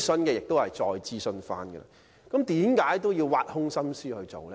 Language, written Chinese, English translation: Cantonese, 但是，為甚麼議員仍要挖空心思提出呢？, So why did Members still rack their brains to move such motions?